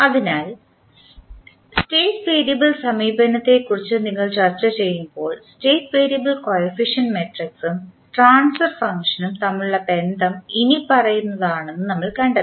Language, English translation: Malayalam, So, when you, we were discussing about the State variable approach we found that the relationship between State variable coefficient matrices and the transfer function is as follows